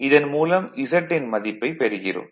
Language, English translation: Tamil, Therefore, this is my Z we got